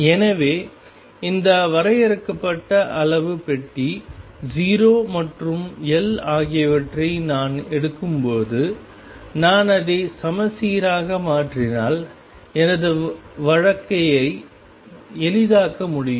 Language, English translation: Tamil, So, when I take this finite size box 0 and L, I can make my life easy if I make it symmetric